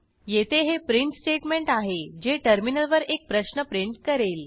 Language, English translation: Marathi, Here I have a print statement, which will print a question on the terminal